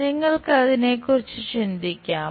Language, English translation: Malayalam, Can you think about it